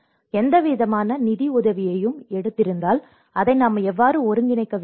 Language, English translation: Tamil, If they have taken any kind of financial support, how we have to coordinate with that